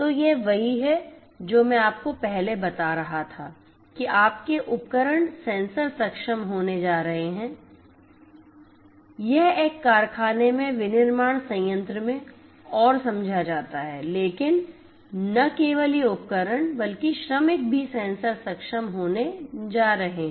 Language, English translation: Hindi, So, this is what I was telling you earlier that your devices are going to be sensor enabled this is understood in a manufacturing plant in a factory and so on, but not only these tools and devices, but also the workers are going to be sensor enable